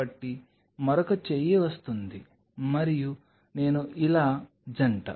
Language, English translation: Telugu, So, another arm comes and I couple like this